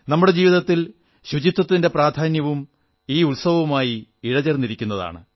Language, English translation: Malayalam, The expression of the significance of cleanliness in our lives is intrinsic to this festival